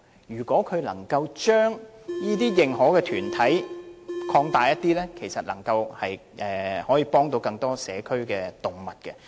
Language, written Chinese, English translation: Cantonese, 如果當局能夠增加認可團體的數目，便能夠幫助更多社區動物。, If the authorities increase the number of approved AWOs a greater number of community animals would stand to benefit